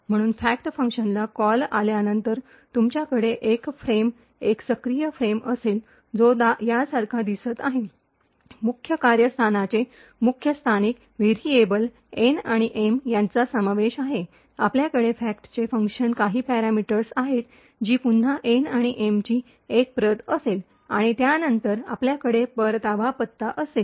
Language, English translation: Marathi, So therefore after the call to the fact function, you would have a frame, an active frame which looks like this, there are the main the locals of the main function that is comprising of N and M, you would have a parameters to the fact function, which here again would be a copy of N and M, and then you would have the return address